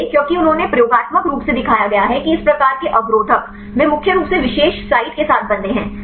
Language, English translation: Hindi, So, because they are experimentally shown that these type of inhibitors; they mainly bind with the particular site